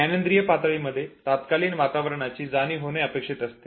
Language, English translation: Marathi, At perceptual level one becomes aware of the immediate environment